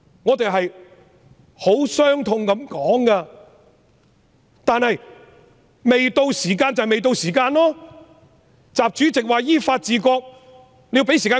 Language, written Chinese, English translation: Cantonese, 我十分傷痛地說這些話，但時候未到，便是時候未到，習主席說依法治國，但要給他時間執行。, I am making these remarks with great sorrow; we have to accept that this is not the opportune time . President XI said that China must be governed according to the law; but he must be given the time for implementation